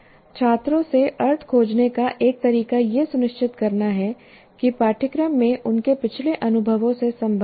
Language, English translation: Hindi, And one of the ways we expect students to find meaning is to be certain that the curriculum contains connections to their past experiences